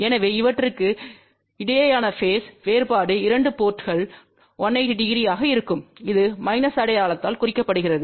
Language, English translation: Tamil, So, the phase difference between these 2 ports will be 180 degree which is represented by minus sign